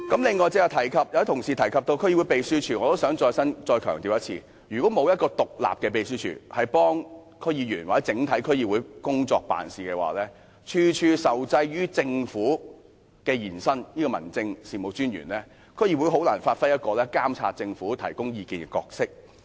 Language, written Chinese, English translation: Cantonese, 此外，剛才有同事提及區議會秘書處，我也想再強調一次，如果沒有獨立的秘書處協助區議員或整體區議會工作，處處受制於政府或民政事務專員，區議會便難以發揮監察政府，提供意見的角色。, Moreover earlier on some colleagues mentioned the secretariats of DCs . I wish to emphasize once again that without an independent secretariat to help the work of DC members or DCs as a whole and if they are subject to control by the Government or District Officers in all aspects it would be difficult for DCs to perform the role of monitoring and advising the Government